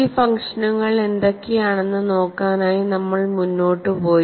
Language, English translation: Malayalam, Then, we moved on to look at what are these functions F